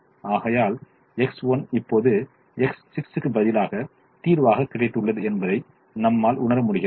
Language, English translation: Tamil, therefore you realize x one as now coming to the solution, in the place of x six